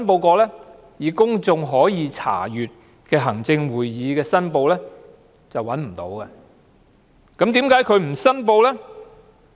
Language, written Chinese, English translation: Cantonese, 在公眾可以查閱的行政會議申報中是找不到的，那麼為何她沒有申報？, Did she make any declaration? . No such record is found in the Register of Members Interests of the Executive Council which is accessible by the public . Then why did she not declare?